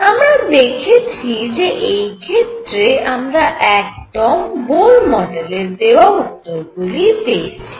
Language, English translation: Bengali, And found that the energies came out to be precisely the same as that in the Bohr model